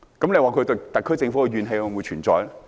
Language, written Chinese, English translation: Cantonese, 你說他們對特區政府的怨氣會否存在？, Will those affected have grievances against the SAR Government?